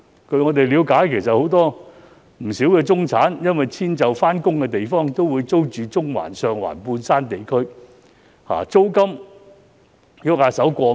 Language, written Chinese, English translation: Cantonese, 據我們了解，不少中產人士因遷就上班地點，都會租住中環、上環、半山地區，租金動輒過萬元。, As far as we know many middle - class people would often rent a place in Central Sheung Wan or the Mid - Levels for over 10,000 due to proximity to their workplace